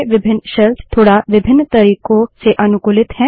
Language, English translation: Hindi, Different shells are customized in slightly different ways